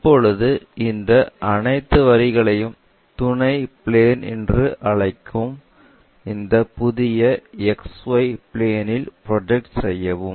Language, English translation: Tamil, Now, project all these lines on to this new plane which we call auxiliary plane X 1, Y 1 plane